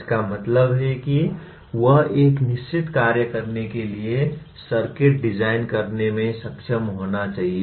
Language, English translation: Hindi, That means he should be able to design a circuit to perform a certain function